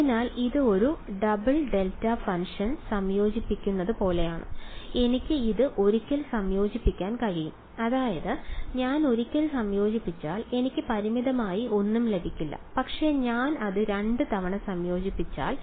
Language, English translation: Malayalam, So, it is like integrating a double delta function, I can integrate it once I mean like if I integrate it once I do not get anything finite, but if I integrate it twice